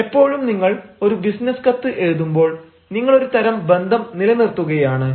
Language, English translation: Malayalam, it is always said that when you are writing a business letter, you are continuing a sort of relationship